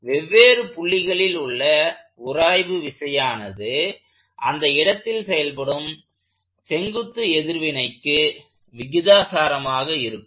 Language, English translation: Tamil, So, is the friction at different points, the friction would be proportional to the local normal reaction